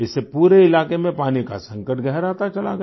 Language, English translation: Hindi, This led to worsening of the water crisis in the entire area